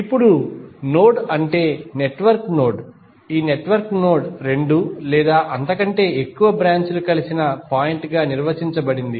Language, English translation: Telugu, Now, node is the network node of a network is defined as a point where two or more branches are joined